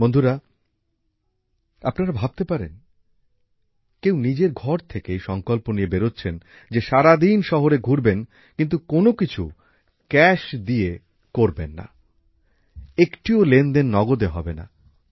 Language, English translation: Bengali, Friends, can you imagine that someone could come out of one's house with a resolve that one would roam the whole city for the whole day without doing any money transaction in cash isn't this an interesting resolve